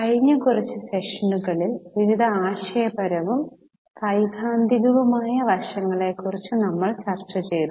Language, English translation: Malayalam, Namaste In last few sessions we have been discussing about various conceptual and theoretical aspects